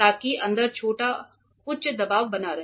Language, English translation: Hindi, So, that inside as small high pressure is maintained